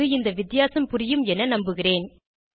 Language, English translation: Tamil, I hope the difference is clear to you now